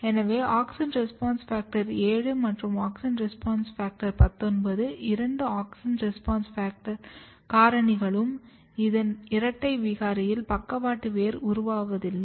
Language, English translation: Tamil, Now these are two auxin response factor, auxin response factor 7 and auxin response factor 19, if you look double mutant here you can also see that there is no lateral root formation